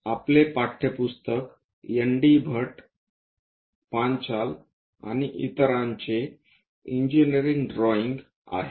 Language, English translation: Marathi, Our text book is engineering drawing by ND Bhatt, and Panchal, and others